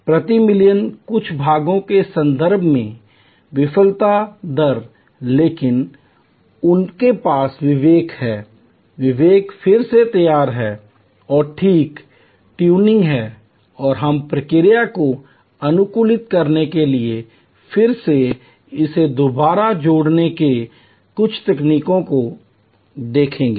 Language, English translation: Hindi, Failure rates in that in terms of few parts per million, but they do have discretion, the discretion is reassembling and fine tuning and we will see some techniques of this reassembly again to optimize the process